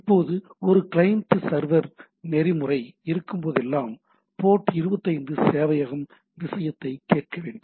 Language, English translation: Tamil, Now now whenever there is a there is a client server protocol, the server needs to listen at one port which is port 25 in this case